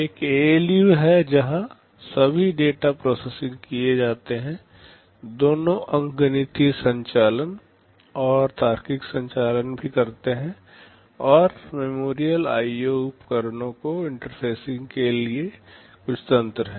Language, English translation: Hindi, There is an ALU where all the data processing are carried out, both arithmetic operations and also logical operations, and there is some mechanism for interfacing memorial IO devices